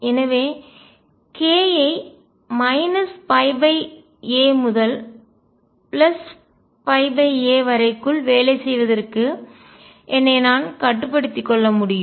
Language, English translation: Tamil, So, I can restrict myself to working within k within minus pi by a to pi by a